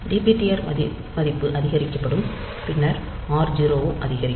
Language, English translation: Tamil, So, dptr value will be incremented then r increment r 0